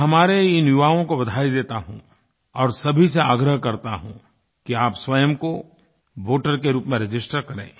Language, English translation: Hindi, I congratulate our youth & urge them to register themselves as voters